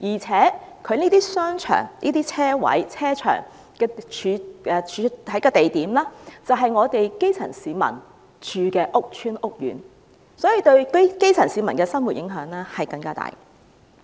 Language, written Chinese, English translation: Cantonese, 此外，這些商場和停車場的地點就是基層市民居住的屋邨和屋苑，因此對基層市民的生活影響更大。, Moreover these shopping arcades and car parks are located at public housing estates and housing courts where the grass roots live so an even greater impact is thus exerted on the life of the grass roots